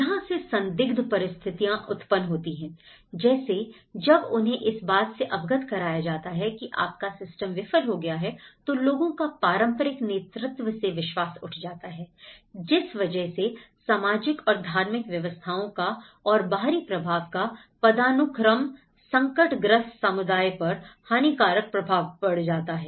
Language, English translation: Hindi, That is where such kind of situations you know when they were made aware that your system have failed that is where they leads to the loss of faith in the traditional leadership and hierarchies of the social and the religious order making the distressed community still more prone to the external influence